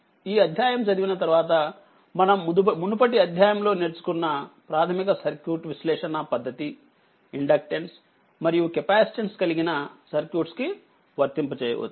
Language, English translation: Telugu, After studying this chapters, we will be ready to extend the basic circuit analysis technique, you all learned in previous chapter to circuit having inductance and capacitance